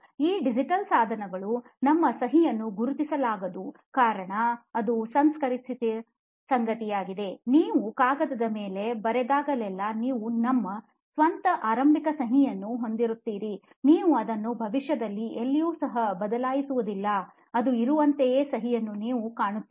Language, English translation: Kannada, so this medium this digital devices whichever whatever you said like your signature was not being recognised properly is because that is something that is processed, whenever you make an impression on the paper you will have your own initial signature you will not get it anywhere changed in the future as well, you see the signature it will be there as it is